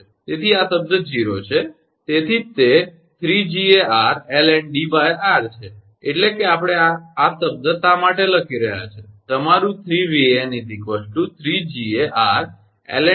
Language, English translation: Gujarati, So, this term is 0, that is why it is 3 Ga r ln D upon r that is, why we are writing this one that your 3 Ga, 3 Van is equal to 3 Ga r ln D upon r